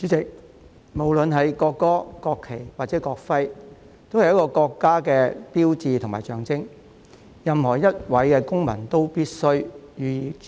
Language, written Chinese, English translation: Cantonese, 主席，無論國歌、國旗或國徽，都是一個國家的標誌和象徵，任何一位公民都必須予以尊重。, Chairman the national anthem the national flag and the national emblem are all the symbol and sign of a country which should be respected by each and every citizen